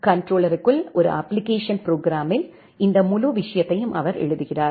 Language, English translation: Tamil, He basically write that this entire thing in a application program inside the controller